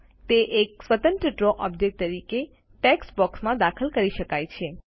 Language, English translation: Gujarati, It can be inserted into a text box as an independent Draw object